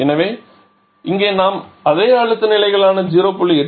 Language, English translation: Tamil, So, here we are working between the same pressure levels 0